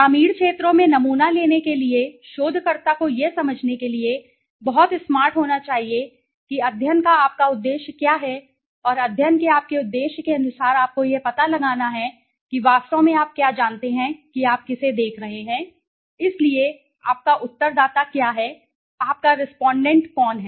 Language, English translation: Hindi, Okay, sampling in the rural areas can be the researcher has to be very smart enough to understand, what is your objective of the study and according to your objective of the study you have to find out, what exactly you know who are you looking to, so what is your respondent